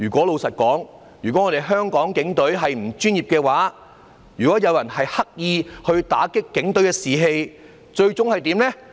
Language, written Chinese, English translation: Cantonese, 老實說，如果香港警隊不專業，如果有人刻意打擊警隊的士氣，最終會怎樣呢？, Frankly speaking if the Hong Kong Police Force are unprofessional and if some people deliberately undermine the morale of the Police what would it be like in the end?